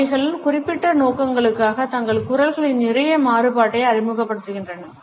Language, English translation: Tamil, They also introduce quite a lot of variation into their voices for particular purposes